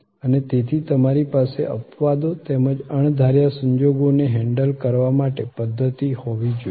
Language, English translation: Gujarati, And therefore, you have to have systems to handle exceptions as well as unforeseen circumstances